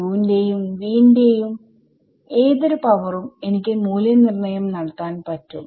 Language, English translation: Malayalam, Any power of u and v I can evaluate